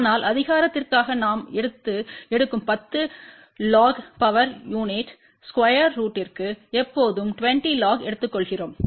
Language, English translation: Tamil, But for power we always take 10 log for a square root of power unit we take 20 log